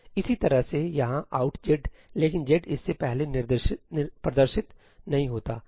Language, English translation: Hindi, Similarly over here ëout zí, but z doesnít appear before this